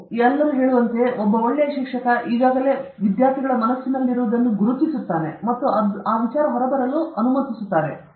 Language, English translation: Kannada, As they say, a good teacher is somebody, a teacher is one who figures out what is already there in the students mind and allows that to come out